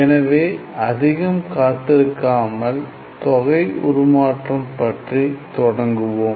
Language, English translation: Tamil, So, without waiting much let us start the ideas of integral transform